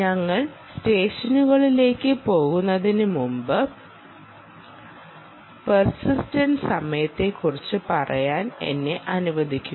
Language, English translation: Malayalam, before we go into sessions, let me spend a little more time on persistence time